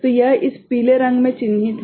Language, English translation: Hindi, So, this is the marked in this yellow right